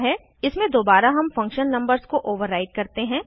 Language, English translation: Hindi, In this, again, we override the function numbers